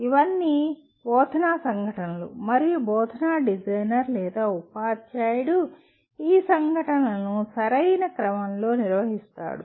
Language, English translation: Telugu, These are all instructional events and an instructional designer or the teacher will organize these events in a proper sequence